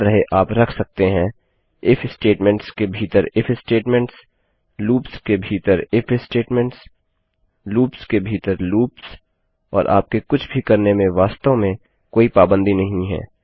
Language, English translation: Hindi, Remember you can put IF statements inside IF statements IF statements inside loops loops inside loops and theres really no limit to what you do